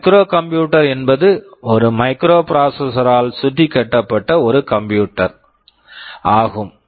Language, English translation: Tamil, Microcomputer is a computer which is built around a microprocessor